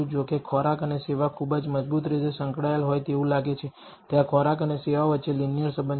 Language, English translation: Gujarati, However, food and service seems to be very strongly correlated there seems to be a linear relationship between food and service